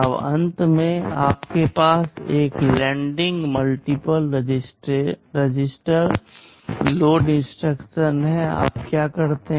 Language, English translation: Hindi, Now at the end you have a matching load multiple register load instruction, what you do